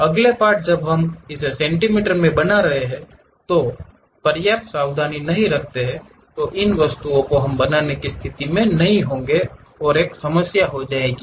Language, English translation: Hindi, The next part when we are constructing it in centimeters, if we are not careful enough these objects we may not be in a position to make and there will be a problem